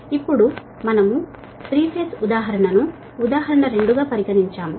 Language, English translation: Telugu, right now we consider a three phase example